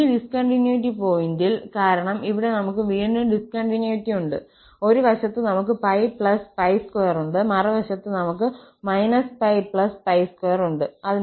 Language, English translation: Malayalam, So, at these points of discontinuity, because here, we have again the discontinuity, at one side we have pi plus pi square, other side we have minus pi plus pi square